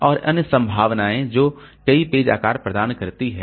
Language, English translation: Hindi, And other possibilities that provide multiple page sizes